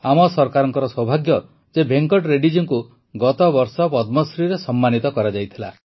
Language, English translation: Odia, Our Government is fortunate that Venkat Reddy was also honoured with the Padmashree last year